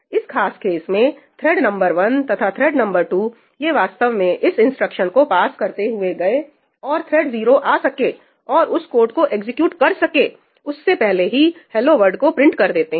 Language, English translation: Hindi, In this particular case thread number 1 and thread number 2, they basically went past this instruction and printed ëhello worldí even before thread 0 could come and execute this code